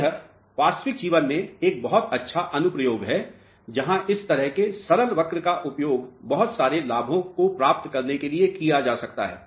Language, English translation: Hindi, So, this is a very good application in real life where simple curves like this can be utilized for achieving lot of benefits, know that is right correct